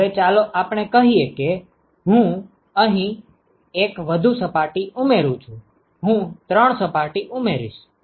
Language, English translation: Gujarati, Now let us say I add 1 more surface here, I add 3 ok